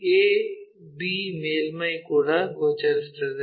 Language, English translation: Kannada, a to b surface also visible